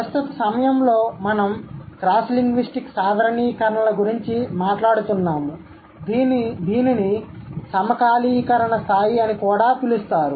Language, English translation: Telugu, We have always been talking about cross linguistic generalizations at the present time which is also known as synchronic level